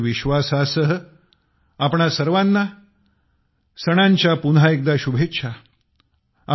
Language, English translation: Marathi, With this very belief, wish you all the best for the festivals once again